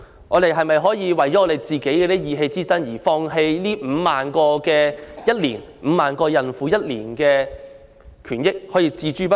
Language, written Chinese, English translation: Cantonese, 我們是否要為了意氣之爭而放棄每年5萬名產婦的權益，將她們置之不理？, Should the rights and interests of 50 000 post - natal women every year be renounced because of our irrational dispute?